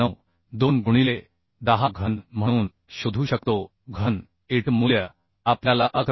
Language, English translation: Marathi, 92 into 1It 0 cube It value we found as 11